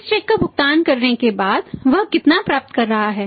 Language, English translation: Hindi, After paying this check how much is realising